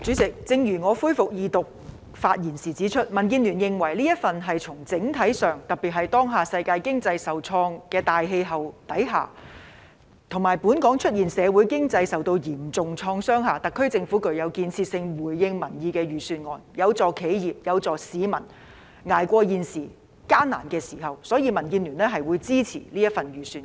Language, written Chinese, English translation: Cantonese, 主席，正如我在《條例草案》恢復二讀辯論的發言中指出，民主建港協進聯盟認為，整體而言，特別是當下世界經濟受創的大氣候之下，以及本港社會經濟受到嚴重創傷的情況下，特區政府這份財政預算案具建設性，而且回應民意，有助企業、市民捱過現在的艱難時間，所以民建聯會支持這份預算案。, Chairman as I pointed out in my speech at the resumption of the Second Reading debate on the Bill the Democratic Alliance for the Betterment and Progress of Hong Kong DAB believes that on the whole this Budget of the SAR Government is constructive as it has responded to public opinions while helping businesses and the public to ride over the current difficult time in particular amidst an austere environment under which the world economy has taken a hit and the Hong Kong society and economy are also in tatters . Therefore DAB will support this Budget